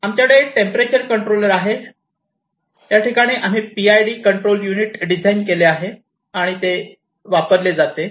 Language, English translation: Marathi, And then you can see this is a temperature controller, here PID control unit is used, we have designed a PID controlled circuit here